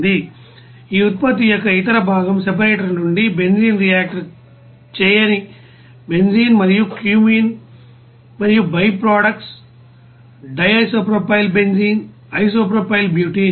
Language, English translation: Telugu, You know that benzene unreacted benzene and cumene and byproduct di isopropyl benzene isopropyl you know butane